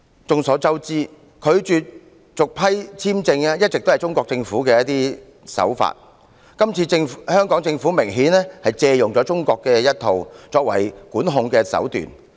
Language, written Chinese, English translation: Cantonese, 眾所周知，拒絕續批簽證是中國政府的慣常手法，今次香港政府明顯借用了中國的管控手段。, It is a well - known fact that refusing to grant a visa is the Chinese Governments usual tactic and now the Hong Kong Government has obviously adopted Chinas tactic of regulation and control